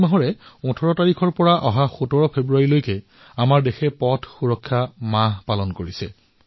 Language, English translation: Assamese, This very month, from the 18th of January to the 17th of February, our country is observing Road Safety month